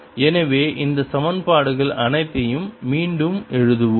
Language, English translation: Tamil, so let's write all these equations again